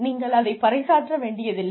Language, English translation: Tamil, You do not have to declare it